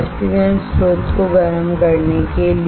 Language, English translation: Hindi, To heat the evaporation source